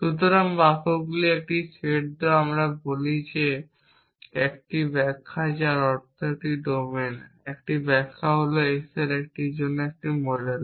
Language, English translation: Bengali, So, given a set of sentences s we say that a interpretation which means a domain an interpretation is a model for s